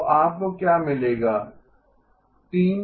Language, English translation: Hindi, So what you would get is 3 terms